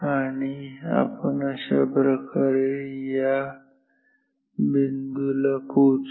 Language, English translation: Marathi, So, we will go like this up to this point